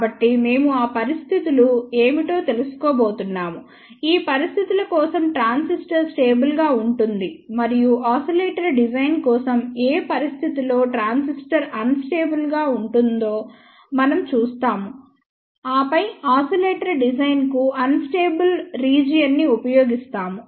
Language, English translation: Telugu, So, we are going to find out what are those conditions, for which conditions the transistor is stable and for a oscillator design; we will actually see for which condition transistor is unstable and then we will use the unstable region to design oscillator